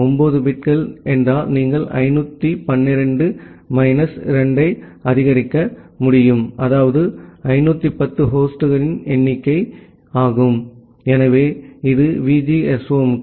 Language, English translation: Tamil, 9 bits means you can support 512 minus 2 that means, 510 number of host, so that is for VGSOM